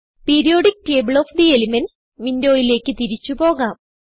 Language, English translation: Malayalam, Lets go back to the Periodic table of the elements window